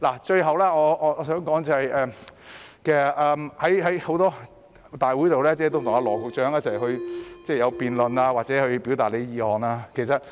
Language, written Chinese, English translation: Cantonese, 最後我想說的是，在很多會議上，我跟羅局長進行辯論或向他表達意見。, Lastly I wish to say that in many meetings I have debated with Secretary Dr LAW or expressed my views to him